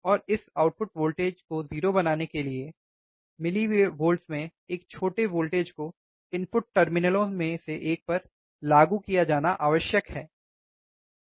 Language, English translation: Hindi, And to make this output voltage 0, a small voltage in millivolts a small voltage in millivolts is required to be applied to one of the input terminals, alright